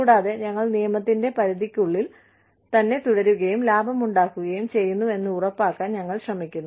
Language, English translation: Malayalam, And, we are trying to make sure, we stay within the confines of the law, and still make a profit